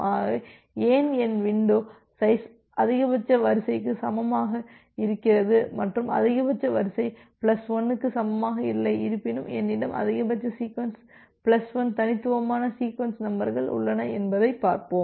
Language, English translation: Tamil, So, let us see why so, let us see that why my window size is equal to max sequence and not equal to max sequence plus 1 although I have max sequence plus 1 distinct sequence numbers